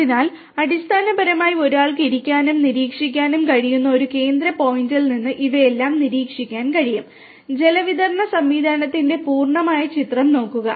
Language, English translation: Malayalam, So, all of these things can be monitored from a central point where basically one can sit and monitor have a look at the complete picture of the water distribution system